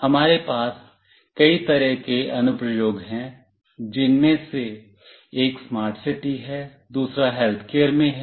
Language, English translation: Hindi, There is a wide variety of applications that we can have, one of which is smart city, another is in healthcare